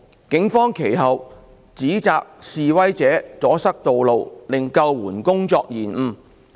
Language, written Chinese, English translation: Cantonese, 警方其後指摘示威者阻塞道路令救援工作受延誤。, The Police subsequently accused that the demonstrators blocking the roads had delayed the rescue work